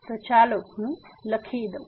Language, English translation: Gujarati, So, let me just write it